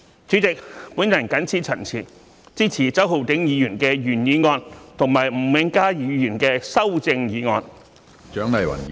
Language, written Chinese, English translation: Cantonese, 主席，我謹此陳辭，支持周浩鼎議員的原議案和吳永嘉議員的修正案。, With these remarks President I support the original motion proposed by Mr Holden CHOW and the amendment proposed by Mr Jimmy NG